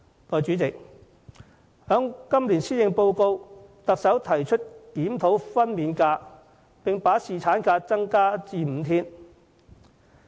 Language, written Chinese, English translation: Cantonese, 代理主席，行政長官於今年施政報告中提出檢討分娩假，並增加侍產假至5天。, In this years Policy Address Deputy President the Chief Executive proposed to conduct a review on maternity leave and increase paternity leave to five days